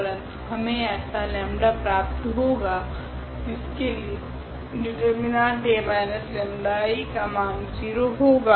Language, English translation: Hindi, But, we have we will get our lambda such that this determinant A minus lambda I will become 0